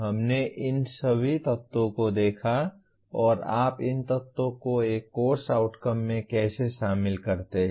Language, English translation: Hindi, We looked at all these elements and how do you incorporate these elements into a Course Outcome